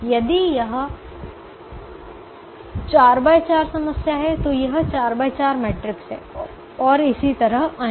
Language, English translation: Hindi, if it is a four by four problem, it's a four by four matrix and son on